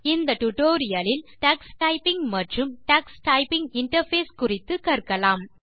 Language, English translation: Tamil, In this tutorial you will learn about Tux Typing and Tux typing interface